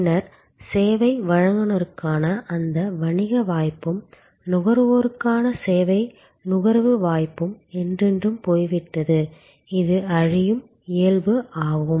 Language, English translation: Tamil, Then, that business opportunity for the service provider and the service consumption opportunity for the consumer gone forever, this is the perishable nature